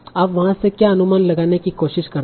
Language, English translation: Hindi, So what do you try to infer from there